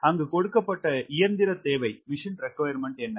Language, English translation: Tamil, what is the machine requirement given there